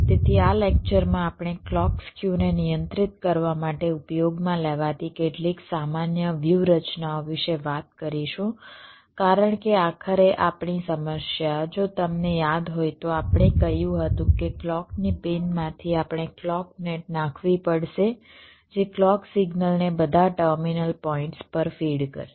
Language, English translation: Gujarati, so in this lecture we shall be talking about some general strategies used to control the clock skew, because ultimately our problem, if you recall, we said that from a clock pin we have to layout a clock net which will be feeding the clock signal to all the terminal points and we have to control this skew in this overall network